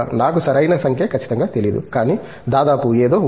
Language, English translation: Telugu, I do not exactly know the correct number, but something around that